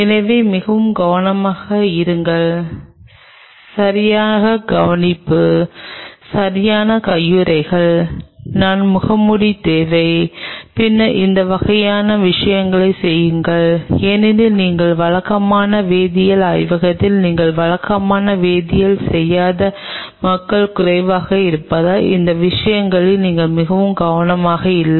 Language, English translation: Tamil, So, be very careful take proper care, proper gloves, I would necessary mask, and then do these kinds of things because in a regular biology lab where you are not doing chemistry on regular basis people are little you know not very careful on these matters